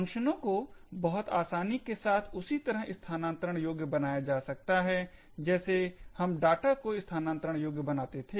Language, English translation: Hindi, Functions can be made relocatable in a very similar way as how data was made relocatable